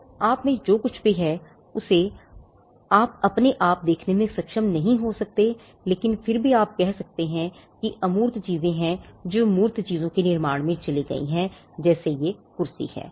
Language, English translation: Hindi, So, all that goes into you may not be able to see it in you may not be able to see it, but nevertheless you can say that there are intangible things that have gone into the creation of the tangible output which is the chair